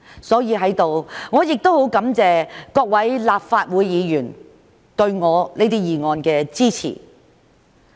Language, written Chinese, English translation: Cantonese, 所以，在此，我很感謝各位立法會議員對我這些議案的支持。, Here I wish to thank fellow Members for supporting these motions of mine